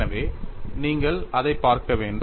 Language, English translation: Tamil, So that is the way you have to look at it